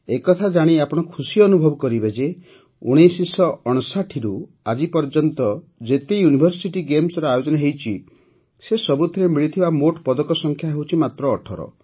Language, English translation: Odia, You will be pleased to know that even if we add all the medals won in all the World University Games that have been held since 1959, this number reaches only 18